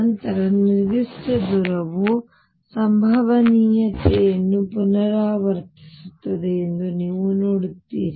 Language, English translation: Kannada, Then you see after a certain distance the potential repeat itself